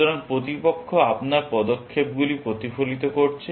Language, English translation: Bengali, So, the opponent is mirroring your moves